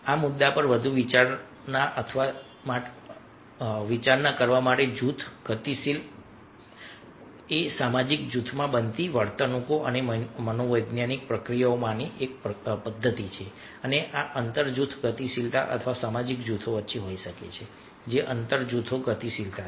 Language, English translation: Gujarati, further to deliberate on this issue is group dynamic, system of behaviours and psychological process occurring within a social group and these are might be intragroup dynamics or between social group, that is, intergroup dynamics